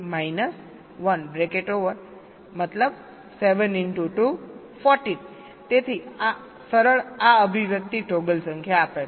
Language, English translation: Gujarati, so this simple, this expression gives the number of toggle